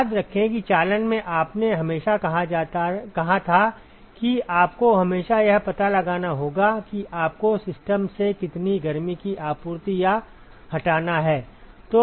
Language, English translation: Hindi, Remember that in conduction you always said you always have to find out what is the net amount of heat that you have to supply or remove from the system